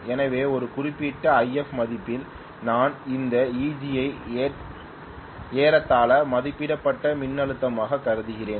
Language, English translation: Tamil, So may be at a particular value of IF right I am getting actually this EG to be approximately rated voltage